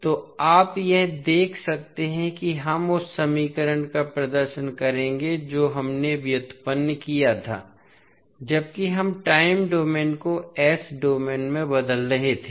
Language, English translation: Hindi, So, this you can see that will represent the equation which we just derived while we were transforming time domain into s domain